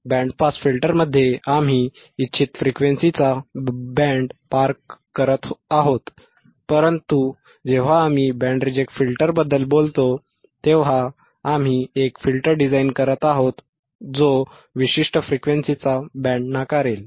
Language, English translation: Marathi, In band pass filter, we are passing the band of frequencies of desired frequencies, but when we talk about band reject filter, then we are designing a filter that will reject the band of frequencies